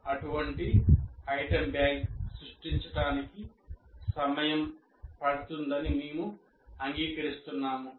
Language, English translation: Telugu, We agree that creating such a item bank is, takes time